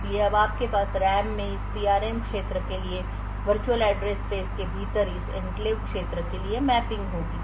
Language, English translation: Hindi, So, therefore you would now have a mapping for this enclave region within the virtual address space to this PRM region in the RAM